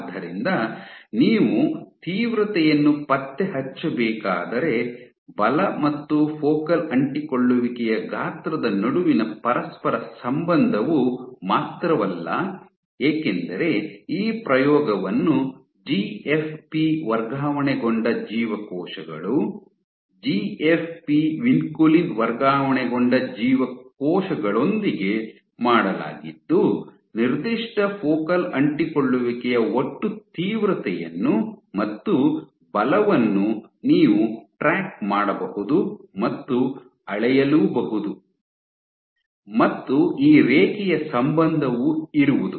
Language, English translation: Kannada, So, not only the correlation holds between force and focal adhesion size if you were to track the intensities because these experiment was done with GFP transfected cells, GFP vinculin transfected cells, you can track the total intensity of a given focal adhesion and the force measured at that point, once again you have this linear correlation